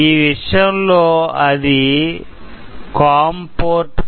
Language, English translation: Telugu, In my case, it’s COM Port number 5